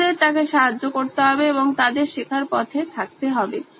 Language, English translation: Bengali, The children have to keep up with her and also keep track of their learning